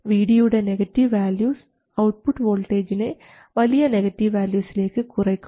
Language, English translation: Malayalam, If VD is positive, the output will be driven to a large positive value